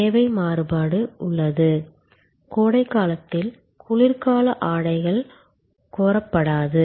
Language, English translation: Tamil, Demand variation is there, winter clothes are not demanded during summer